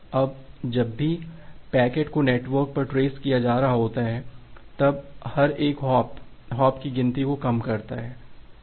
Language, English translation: Hindi, Now, whenever a packet is being traversed over the network then every individual hop just reduces that hop count